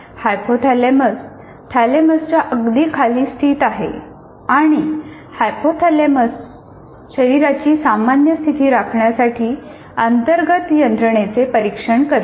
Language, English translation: Marathi, As we said, hypothalamus is located just below thalamus and hypothalamus monitors the internal systems to maintain the normal state of the body